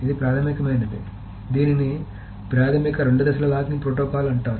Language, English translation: Telugu, So this is the basic, this is called the basic two phase locking protocol